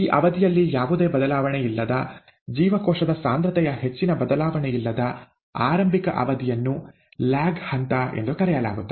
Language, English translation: Kannada, The period during which, the initial period during which there is no change, not much of a change in cell concentration is called the ‘lag phase’